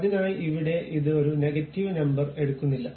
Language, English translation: Malayalam, So, here it is not taking a negative number